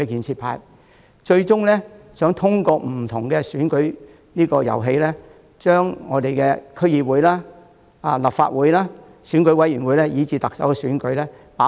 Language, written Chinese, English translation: Cantonese, 他們最終希望通過不同的選舉遊戲，掌控區議會、立法會、選舉委員會，甚至特首選舉。, Their eventual goal is to take control of the District Councils Legislative Council Election Committee and even the Chief Executive election through various election games